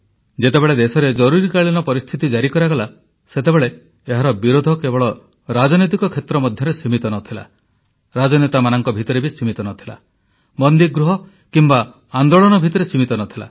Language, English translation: Odia, When Emergency was imposed on the country, resistance against it was not limited to the political arena or politicians; the movement was not curtailed to the confines of prison cells